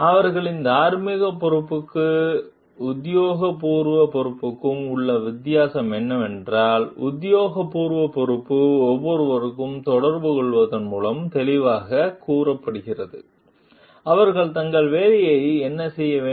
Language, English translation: Tamil, The difference between their moral responsibility and official responsibility is that official responsibility is clearly stated to someone by communicating, what they are supposed to do with their job